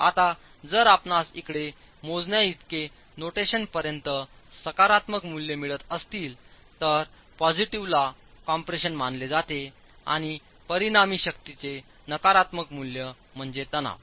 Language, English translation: Marathi, Now if you're getting positive values as far as the notation as far as the calculations here, positive is considered to be compression and a negative value of the resultant force would be tension